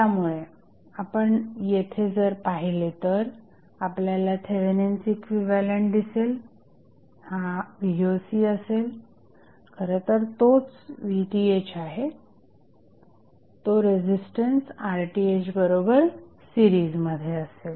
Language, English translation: Marathi, So, here if you see the opens the equivalent of the Thevenin's equivalent, this would be Voc is nothing but Vth in series with resistance Rth